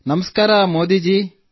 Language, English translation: Kannada, Namaste Modi ji